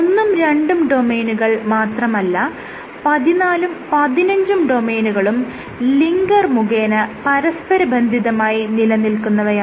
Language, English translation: Malayalam, So, you have these 15 domains actually 14 and 15 are also connected by a linker